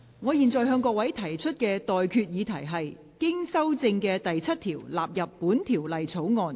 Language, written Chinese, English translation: Cantonese, 我現在向各位提出的待決議題是：經修正的第7條納入本條例草案。, I now put the question to you and that is That the amendment moved by the Secretary for Security be passed